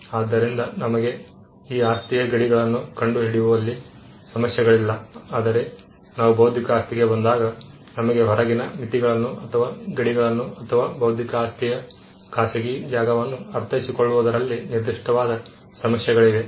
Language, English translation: Kannada, So, we do not have problems in ascertaining the boundaries of this property whereas, when we come to intellectual property, we do have certain issues as to understanding the outer limits or the boundaries or the private space of intellectual property